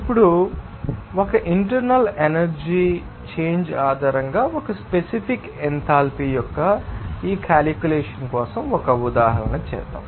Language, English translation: Telugu, Now, let us do an example, for this calculation of a specific enthalpy based on that internal energy change there